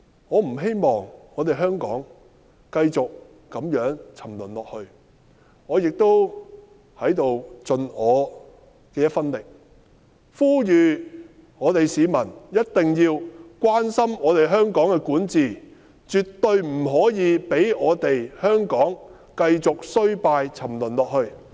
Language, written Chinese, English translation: Cantonese, 我不希望我們香港繼續如此沉淪下去，我在此要盡我的一分力，呼籲市民一定要關心我們香港的管治，絕對不可以讓我們香港繼續衰敗沉淪下去。, I hope that our Hong Kong will not continue to degrade in this way . I hereby do my part and urge members of the public to pay attention to the governance of our Hong Kong . We must not allow our Hong Kong to continue to decline or degrade